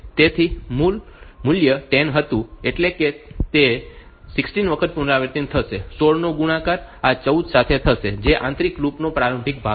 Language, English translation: Gujarati, So, the value was 10 that is that is so, it will be repeated 16 times 16 into so, this 14 is the initialization part of this inner loop